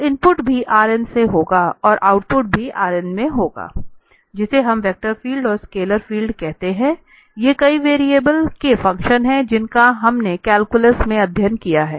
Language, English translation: Hindi, So, the input will be also from the Rn and the output will be also in Rn that is what we call the vector field and the scalar field these are the functions of several variables which we studied in the calculus